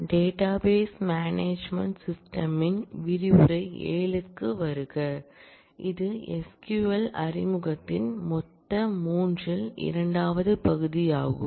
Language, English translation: Tamil, Welcome to module 7 of database management systems, this is a second part out of total 3 of introduction to SQL